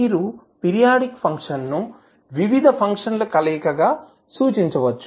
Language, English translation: Telugu, So, you can represent our periodic function, as a combination of various functions